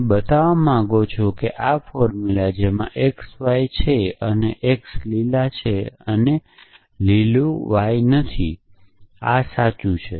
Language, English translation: Gujarati, You want to show that this formula which is there exist x exist y such that on x y and green x and not green y these true